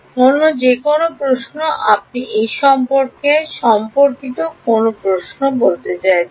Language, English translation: Bengali, Any other questions I mean any questions regarding this